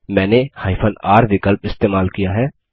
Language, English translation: Hindi, I have used the r option